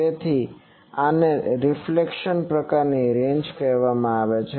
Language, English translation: Gujarati, So this is called reflection type ranges